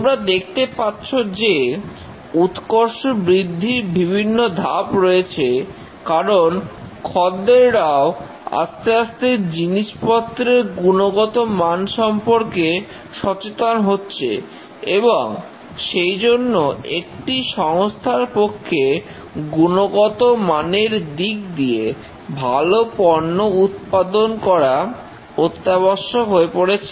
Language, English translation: Bengali, As you can see that there are various stages of growth of quality because the customers are becoming quality conscious and it's very important for an organization to produce quality products